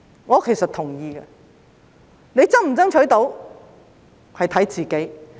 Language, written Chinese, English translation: Cantonese, 我是同意的，能否成功爭取，要看自己。, I agree . Whether it will succeed depends on ourselves